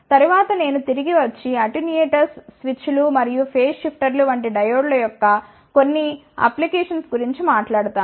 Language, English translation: Telugu, After, that I will come back and talk about some of the applications of those diodes such as attenuators switches and phase shifters